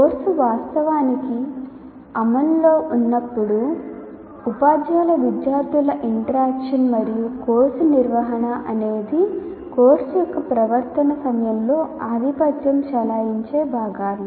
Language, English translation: Telugu, And then once the course actually is in operation, teacher student interaction and course management are the two components which become dominant during the conduct of the course